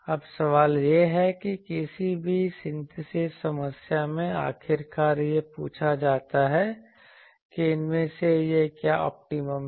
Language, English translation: Hindi, Now, the question is which in any synthesis problem finally is asked that what is the optimum of these